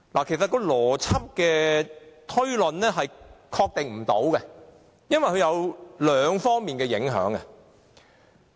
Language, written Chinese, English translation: Cantonese, 其實按邏輯推論是無法確定的，因為它有兩方面的影響。, In fact it is impossible to logically deduce the answer because apology legislation will bring about two effects